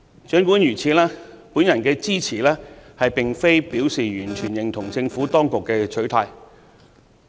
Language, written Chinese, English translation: Cantonese, 儘管如此，我的支持並非表示完全認同政府當局的取態。, That said I do not really agree with the approach taken by the Government